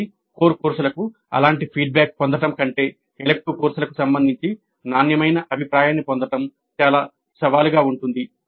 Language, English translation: Telugu, So getting quality feedback regarding elective courses is more challenging than getting such feedback for core courses